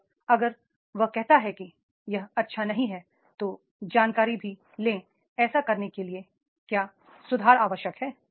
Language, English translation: Hindi, And if he says no it is not good, then also take information that what improvement is required to do that